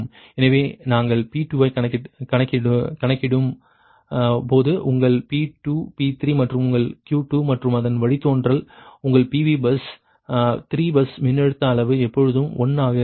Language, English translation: Tamil, so when we are calculating p two, ah your p two, p three and ah your q two, right and its derivative, all the time that ah your pv, bus, bus three, voltage magnitude is always one in that right